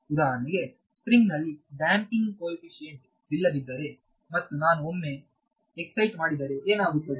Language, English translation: Kannada, For example, if a spring has no damping coefficient and if I excited once, so what happens